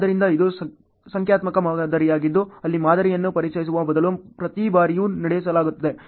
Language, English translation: Kannada, So, this is a numerical model where in the models are run every time rather than solved